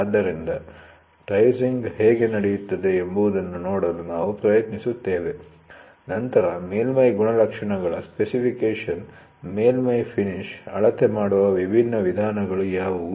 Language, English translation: Kannada, So, we will try to see how are the tracing happening, then specification of surface characteristics, what are the different methods of measuring surface finish